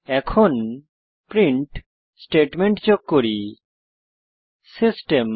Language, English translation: Bengali, Now let us add the print statement, System